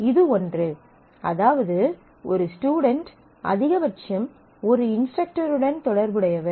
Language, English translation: Tamil, So, this is 1; which means that a student is associated at most with at most one instructor